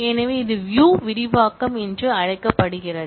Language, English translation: Tamil, So, this is known as view expansion